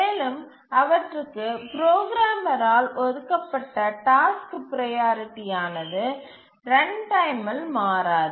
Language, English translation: Tamil, And once the task priorities are assigned by the programmer, these don't change during runtime